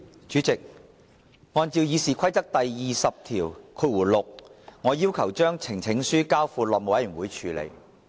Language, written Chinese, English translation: Cantonese, 主席，按照《議事規則》第206條，我要求將呈請書交付內務委員會處理。, President in accordance with RoP 206 I request that the petition be referred to the House Committee